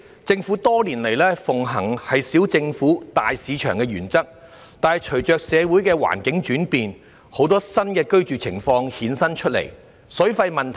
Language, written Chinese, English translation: Cantonese, 政府多年來奉行"小政府，大市場"的原則，但隨着社會環境轉變，衍生出很多新的居住情況，亦由此凸顯出有關水費的問題。, The Government has upheld the principle of small government big market all these years but changes in the social environment have brought about many new modes of dwelling thus highlighting the problem with water charges